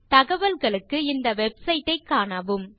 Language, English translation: Tamil, For details please visit this website